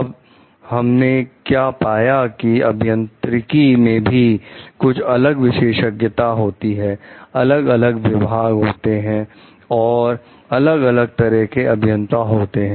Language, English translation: Hindi, Now, what we find is the engineering has also different specializations, different divisions and there like different kinds of engineers